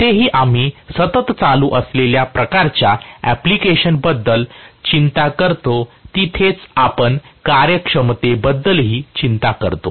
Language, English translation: Marathi, Wherever, we worry about continuous running kind of application, that is where we worry about efficiency also much more